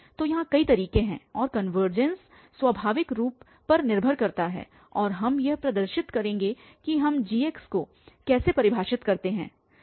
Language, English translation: Hindi, So, there are several ways and the convergence will depend naturally and we will demonstrate this that how do we define this gx